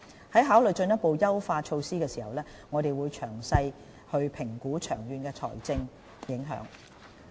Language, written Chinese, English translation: Cantonese, 在考慮進一步的優化措施時，我們須詳細評估長遠的財政影響。, In considering further enhancement measures a detailed assessment must be made of the long - term financial impacts